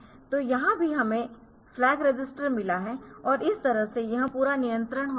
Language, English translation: Hindi, So, here also you have got flag register and that way this whole control takes place